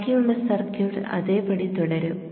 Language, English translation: Malayalam, The rest of the circuit will remain the same